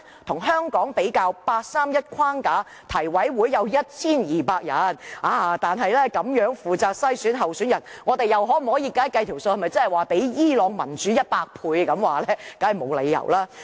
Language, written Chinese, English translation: Cantonese, 與香港比較，在八三一框架下，提委會有 1,200 人，但這樣負責篩選候選人，經運算後，我們是否較伊朗民主100倍呢？, In comparison Hong Kongs NC which is also responsible for the screening of candidate is 1 200 strong . After calculation is our election system not 100 times more democratic than Irans?